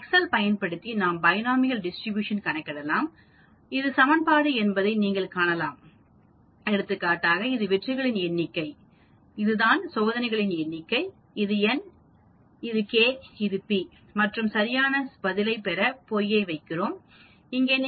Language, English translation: Tamil, Using excel we can calculate the binomial distribution as you can see this is the equation, for example, this is the number of successes, this is the number of trials this is n, this is k, this is the p and here we put false to get the exact answer here